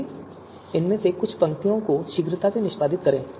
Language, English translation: Hindi, So let us quickly execute some of these lines